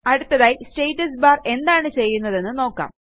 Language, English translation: Malayalam, Next, lets see what the Status bar does